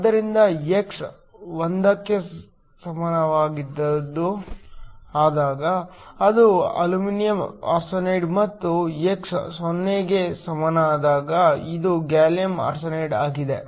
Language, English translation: Kannada, So, when x is equal to 1, it is aluminum arsenide and when x is equal to 0, it is gallium arsenide